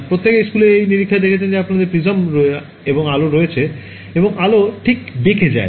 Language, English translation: Bengali, So, everyone has seen in this experiment in school right you have a prisms and light through it and light gets bent right